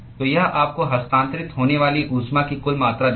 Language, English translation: Hindi, So, that will give you the total amount of heat that is transferred